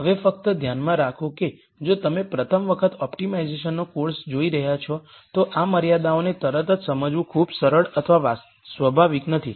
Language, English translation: Gujarati, Now just keep in mind that if you are seeing course on optimization for the first time it is not very easy or natural to understand this constraints right away